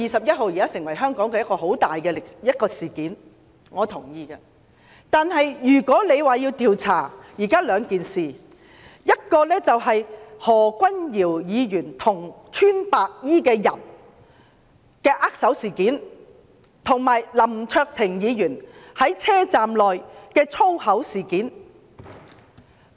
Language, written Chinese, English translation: Cantonese, 如果反對派要求調查，現在便有兩項事情須予調查，其一是何君堯議員與白衣人握手，另一是林卓廷議員在車站內說粗話。, If the opposition party demands an investigation there are now two things that need to be investigated . One is about Dr Junius HO shaking hands with the white - clad men and the other is about Mr LAM Cheuk - ting speaking foul languages in the MTR station